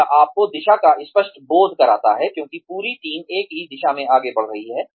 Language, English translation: Hindi, It gives you a clear sense of direction, because the whole team is moving, in the same direction